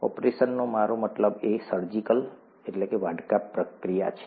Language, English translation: Gujarati, What I mean by an operation is a surgical procedure